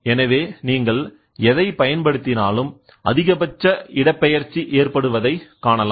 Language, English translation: Tamil, So, the load whatever you apply you see maximum displacement happening